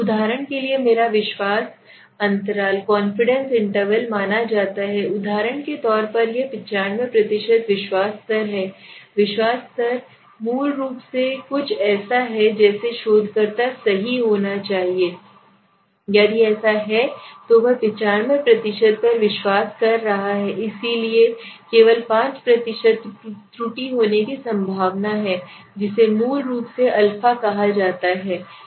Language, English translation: Hindi, So what is happening here now suppose for example my confidence interval is suppose for example I am saying let say that where does it lie confidence level of 95 percent at a confidence level confidence level is basically something like the researcher wants to be confident right so if he is confidence at 95 percent so there is a chance of error of only 5 percent right which is also termed as the alpha basically okay